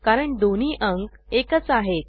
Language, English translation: Marathi, This is because the two numbers are equal